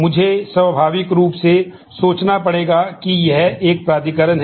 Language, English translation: Hindi, I am naturally will have to think of this is an authorization